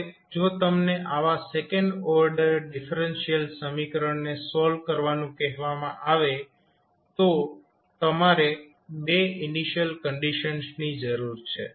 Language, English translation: Gujarati, Now, if you are asked to solve such a second order differential equation you require 2 initial conditions